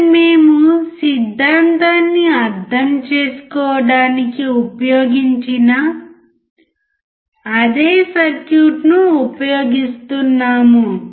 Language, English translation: Telugu, Here we consider the same circuit which we have used to understand the theory